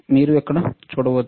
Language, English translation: Telugu, What you see here